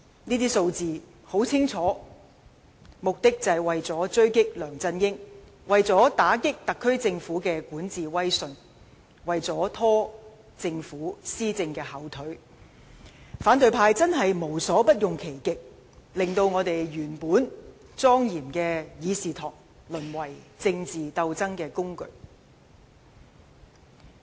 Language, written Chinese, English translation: Cantonese, 這些數字很清楚，目的就是為了狙擊梁振英，為了打擊特首政府的管治威信，為了拖政府施政的後腿，反對派真是無所不用其極，令原本莊嚴的議事堂淪為政治鬥爭工具。, Members of the opposition camp are going after LEUNG Chun - ying . They will spare no effort to discredit the governance of the Chief Executives Government and hold his administration back . As a result they have turned this solemn Council into a platform for political wrangling